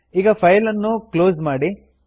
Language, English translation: Kannada, Now close this file